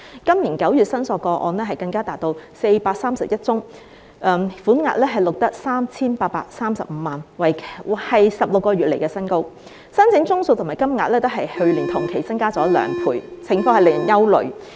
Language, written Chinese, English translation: Cantonese, 今年9月的申索個案更達431宗，款額錄得 3,835 萬元，是16個月以來新高，申請宗數和金額均較去年同期增加兩倍，情況令人憂慮。, The number of claims even reached 431 this September involving an amount of 38,350,000 a record high over the past 16 months . It is unsettling that both the number of applications and the amount involved have increased two - fold compared with the same period last year